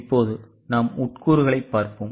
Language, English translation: Tamil, Now, let us look at the components